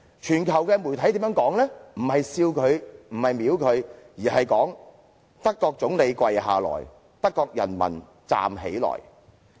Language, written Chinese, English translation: Cantonese, 全球媒體沒有藐視他，也沒有嘲笑他，而是寫"德國總理跪下去，德國人民站起來"。, Media around the world neither scorned nor jeered at him and one newspaper even wrote German Chancellor kneels as Germans rise